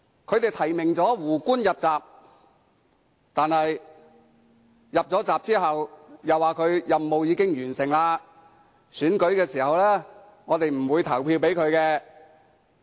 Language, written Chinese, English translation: Cantonese, 他們提名"胡官"入閘，但在他入閘後卻說其任務已經完成，在選舉時是不會投票給他。, They nominated Justice WOO but after he had been nominated they told him that his mission was completed and they would not vote for him in the election